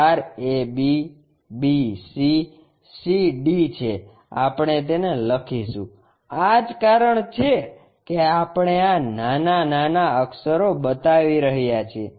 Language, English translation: Gujarati, The edges are ab, bc, cd we will write it, that is a reason we are showing these lower case letters